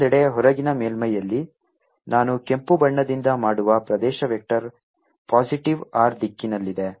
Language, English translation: Kannada, on the outer surface, on the other hand, which i'll make by red, the area vector is in the positive r direction